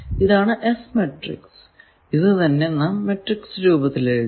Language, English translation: Malayalam, So, this matrix is called S matrix